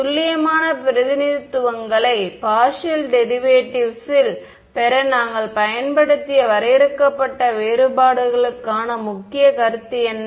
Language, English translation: Tamil, What are the key concept for finite differences that we used to get accurate representations of the partial derivatives